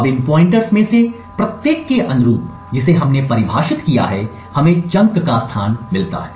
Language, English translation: Hindi, Now corresponding to each of these pointers which we have defined we get the location of the chunk